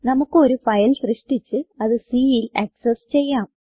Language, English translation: Malayalam, We can create a file and access it using C